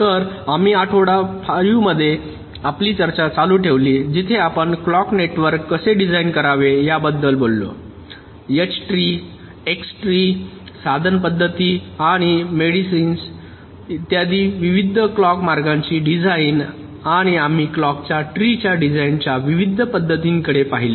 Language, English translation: Marathi, so we continued our discussion in week five where we talked about how to design the clock networks, various clock routing architectures like h tree, x tree, method of means and medians, etcetera, and we looked at the various methods of clock tree design and the kind of hybrid approaches that are followed to minimize the clocks skew